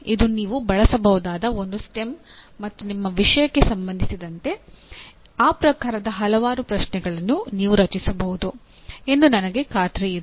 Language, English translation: Kannada, This is a STEM that you can use and with respect to your subject I am sure you can generate several questions of that type